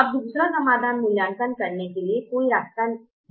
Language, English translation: Hindi, now is there a way not to evaluate the second solution